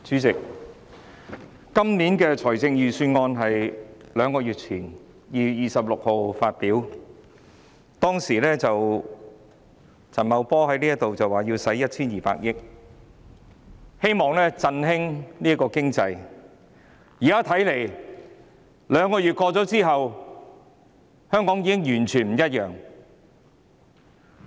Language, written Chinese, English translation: Cantonese, 主席，今年的財政預算案是兩個月前，在2月26日發布的，當時陳茂波來到立法會，說要動用 1,200 億元，希望能夠振興經濟，但兩個月後，現時香港看來已經完全不一樣了。, President the Budget of this year was delivered two months ago on 26 February . At that time Paul CHAN came to the Legislative Council and said 120 billion would be spent in the hope of boosting the economy . However two months down the line Hong Kong looks completely different now